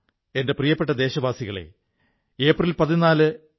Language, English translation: Malayalam, My dear countrymen, April 14 is the birth anniversary of Dr